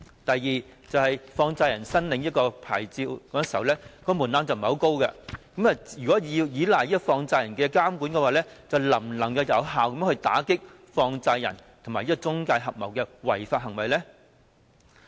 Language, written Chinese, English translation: Cantonese, 第二，放債人申領牌照時，門檻並不太高，如果要依賴放債人監管，能否有效打擊放債人和中介公司合謀的違法行為呢？, Second as money lenders do not need to meet too high a threshold in applying for a licence if we count on money lenders to play a monitoring role can this be effective in curbing the unlawful practices of money lenders acting in collusion with the intermediaries?